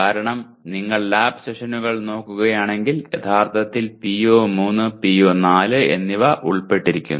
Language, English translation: Malayalam, Because if you look at PO3 and PO4 where the lab sessions are involved actually